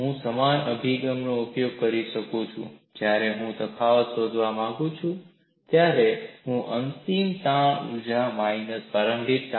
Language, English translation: Gujarati, So, I can use the similar approach and when I want to find out the difference, I will find out the final strain energy minus initial strain energy, we will look at now